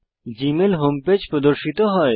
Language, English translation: Bengali, The Gmail home page appears